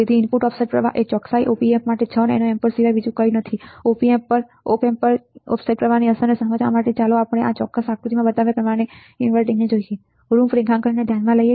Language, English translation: Gujarati, So, input offset current is nothing but 6 nano amperes for a precision Op Amp, to understand the effect of offset current on the Op Amp let us consider an inverting configuration as shown in this particular figure